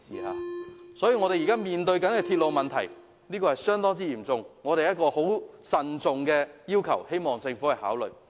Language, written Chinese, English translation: Cantonese, 香港現時面對的鐵路問題相當嚴峻，我們慎重提出這要求，希望政府考慮。, The railway systems in Hong Kong are faced with very serious problems and we prudently put forward this request for consideration by the Government